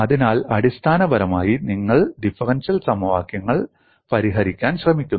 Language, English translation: Malayalam, So, essentially you attempt to solve differential equations